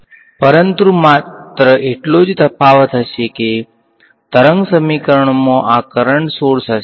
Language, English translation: Gujarati, But only difference will be that wave equation will have these a current sources